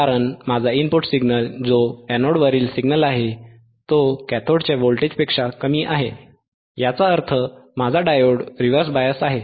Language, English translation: Marathi, Because my input signal, that is a signal or voltage at anode, is less than the voltage at cathode voltage at anode is less than the voltage at cathode ;, thatwhich means, my diode is reverse bias